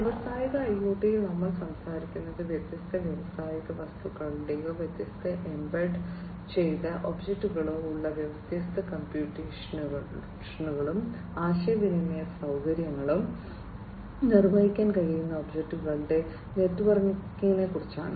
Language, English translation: Malayalam, So, in industrial IoT we are talking about networking of different industrial things or objects that have different embedded objects, which can perform different computation, communication facilities are also there